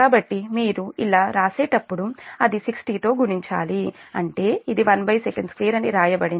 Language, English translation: Telugu, so when you write like this, it is multiplied by sixty, that means it is, it is written, know one up on second square